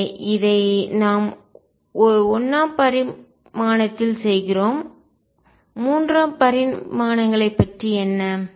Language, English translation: Tamil, So, this is what we do in 1 dimension what about 3 dimensions